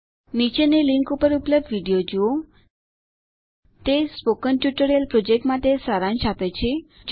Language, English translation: Gujarati, Watch the video available at this url http://spoken tutorial.org/ It summarises the Spoken Tutorial project